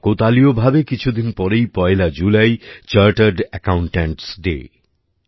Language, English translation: Bengali, Coincidentally, a few days from now, July 1 is observed as chartered accountants day